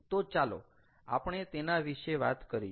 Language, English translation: Gujarati, ok, so let us talk about it